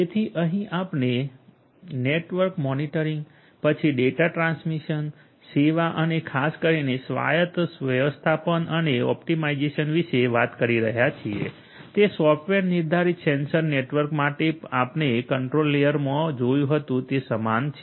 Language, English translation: Gujarati, So, here we are talking about again network monitoring, then data transmission service and management and optimization particularly autonomous management and optimization, it is very similar to the ones that you had seen in the control layer for software defined sensor networks